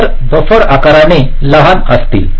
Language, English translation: Marathi, ok, so the buffers will be relatively smaller in size